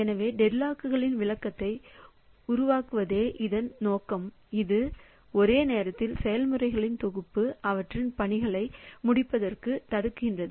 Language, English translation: Tamil, So, objective is to develop a description of deadlocks which prevent sets of concurrent processes from completing their tasks